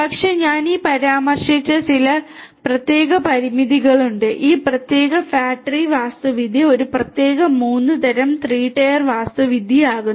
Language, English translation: Malayalam, But, there are certain specific constraints that I just mentioned this enumeration of constants makes this particular fat tree architecture a specific 3 type 3 tier architecture